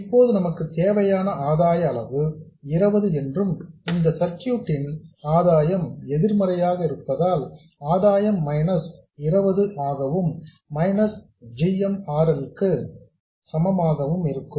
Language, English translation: Tamil, Now let's also say that the gain magnitude we require is 20 and because the gain of this circuit is negative the gain will be minus 20 and it will be equal to minus GM RL and from this we can compute the desired value of GM